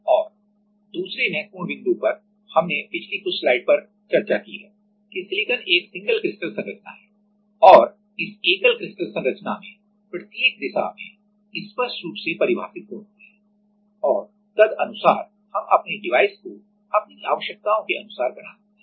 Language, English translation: Hindi, And another important point is as we just discussing last few slides that it has a crystal single crystal structure right and in that single crystal structure it has a very defined property in each of the direction and accordingly we can make our device according to our requirements